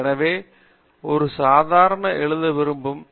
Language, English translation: Tamil, So I want to write a proof